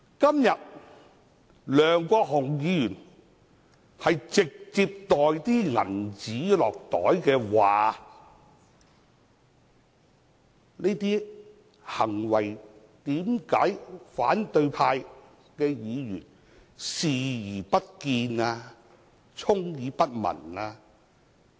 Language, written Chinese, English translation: Cantonese, 今天，梁國雄議員涉嫌直接收受金錢的行為，為何反對派議員視而不見、充耳不聞呢？, Today why do opposition Members turn a blind eye and a deaf ear to Mr LEUNG Kwok - hungs alleged direct acceptance of money?